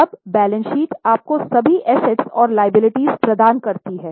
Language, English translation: Hindi, Now, the balance sheet gives you all assets and liabilities